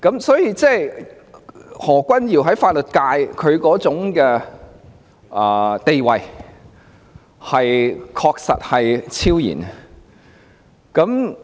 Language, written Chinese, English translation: Cantonese, 所以，何君堯議員在法律界的地位確實是超然的。, The status of Dr Junius HO is thus exceptionally high in the legal sector